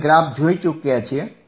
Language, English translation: Gujarati, We have already seen the graph